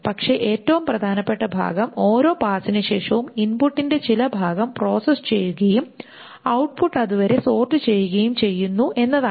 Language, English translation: Malayalam, But the more important part is that after every pass, some part of the input is processed and the output is sorted up to that point